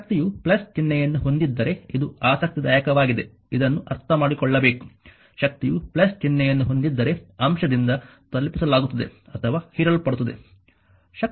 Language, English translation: Kannada, If the power has a plus sign this is this is interesting this you have to understand; if the power has a plus sign power is been delivered to or absorbed by the element